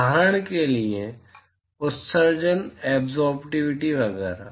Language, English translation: Hindi, For example, emissivity, absorptivity, etcetera